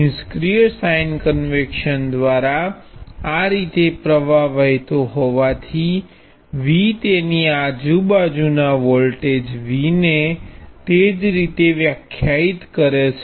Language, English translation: Gujarati, So since the current is flowing this way by passive sign convention V defined the voltage V across it to be that way